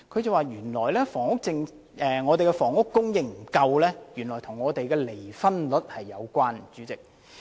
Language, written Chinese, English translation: Cantonese, 代理主席，王教授說香港房屋供應不足，原來與離婚率有關。, Deputy President Prof WONG indicated that inadequate housing supply in Hong Kong turns out to be related to the divorce rate